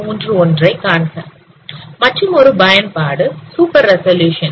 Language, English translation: Tamil, Another application is super resolution